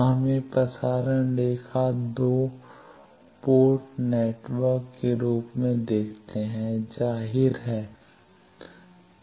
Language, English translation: Hindi, So, let us see transmission line as 2 port network; obviously